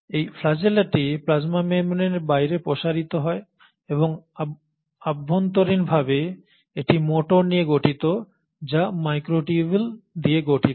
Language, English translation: Bengali, This flagella extends out of the plasma membrane and internally it consists of motors which are made up of microtubules